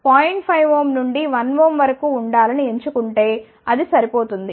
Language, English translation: Telugu, 5 ohm to 1 ohm it is more than sufficient